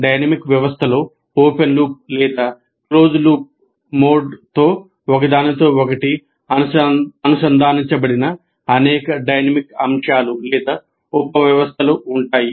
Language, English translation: Telugu, And a dynamic system consists of several dynamic elements or subsystems interconnected in open loop or closed loop mode